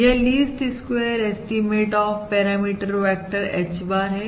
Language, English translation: Hindi, This is the least squares estimate of the parameter vector H bar